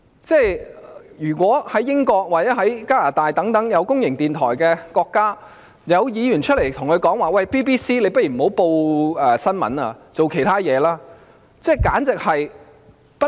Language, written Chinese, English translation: Cantonese, 在英國或加拿大等設有公營電台的國家，當地議員會否公開叫公營電台不要報道新聞而轉做其他工作？, In countries with public broadcasters such as the United Kingdom and Canada would the local legislators openly tell their public broadcasters not to report news and to switch to other work?